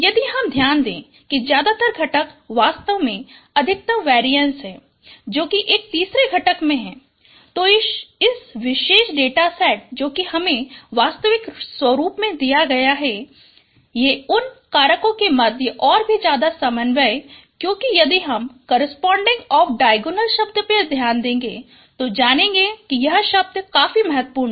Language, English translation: Hindi, If you note that the the maximum component actually maximum variance is actually in the third component in this particular data set which has been given in its original form and also there are high correlations between the factors because if you note the corresponding of diagonal terms you will find that this terms are quite significant